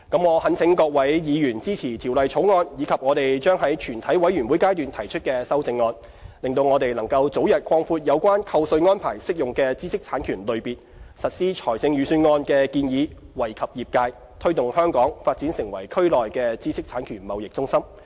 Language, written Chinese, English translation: Cantonese, 我懇請各位議員支持《條例草案》及我們將在全體委員會階段提出的修正案，讓我們能早日擴闊有關扣稅安排適用的知識產權類別，實施財政預算案的建議，惠及業界，推動香港發展成為區內的知識產權貿易中心。, I implore Members to support the Bill and the amendment to be moved in the Committee stage to enable us to implement the Budget proposal and expand the scope of tax deduction arrangement to cover new categories of IPRs as soon as possible . The proposal is beneficial to the industry and conducive to Hong Kongs development as an IP trading hub in the region